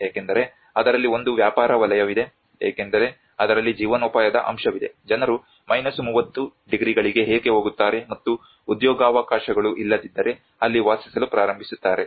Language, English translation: Kannada, Because there is a business sector involved in it because there is a livelihood component involved in it why would people go all the way to 30 degrees and start living there if there is no employment opportunities